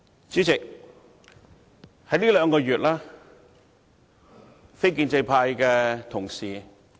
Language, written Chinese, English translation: Cantonese, 主席，在這兩個月，非建制派的同事......, President over the past two months my Honourable colleagues from the non - establishment camp